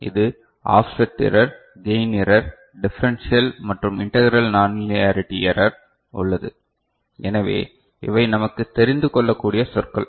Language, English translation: Tamil, And this is in the form of offset error, gain error, differential and integral nonlinearity error, so these are the terms that we shall get familiarized with